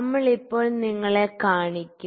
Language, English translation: Malayalam, We will just show you right now